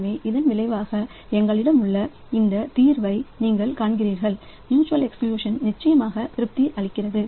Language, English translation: Tamil, So, as a result you see this solution that we have so mutual exclusion is definitely satisfied